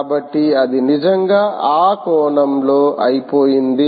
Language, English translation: Telugu, so its really exhausted in that sense, ok